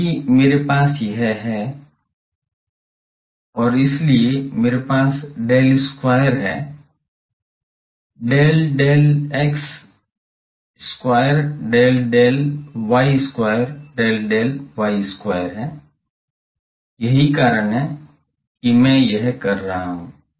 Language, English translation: Hindi, because I have this persons and this persons, so I have del square here del del x square del del y square del del y square that is why I am doing this